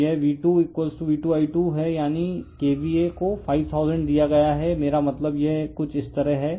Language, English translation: Hindi, So, it is V2 is your = your V2 I2 is that is KVA is given 5000 I mean this is something like this